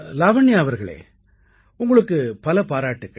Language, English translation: Tamil, Lavanya ji many congratulations to you